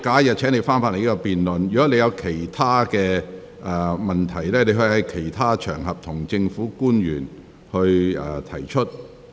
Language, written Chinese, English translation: Cantonese, 若你對此議題有其他問題，可在其他場合向政府官員提出。, If you have other questions about this subject you may raise them with the public officers on other occasions